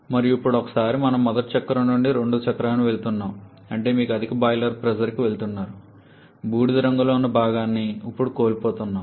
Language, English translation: Telugu, And now once we are moving from the first cycle to the second cycle that is you are moving to a higher boiler pressure, the one shaded in grey that is the portion that you are losing now